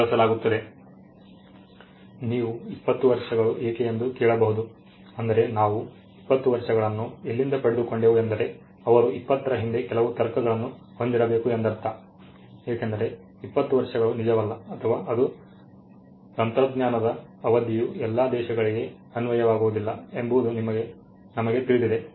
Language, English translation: Kannada, Now you may ask why 20 years, I mean where did we get the 20 years from I mean they should be some logic behind 20 because, we know that 20 years is not only true or not only applicable for all countries it is applicable it is technology agnostic